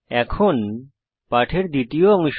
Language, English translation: Bengali, Now to the second part of the lesson